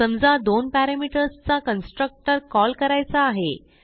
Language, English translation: Marathi, Suppose now call a constructor with two parameters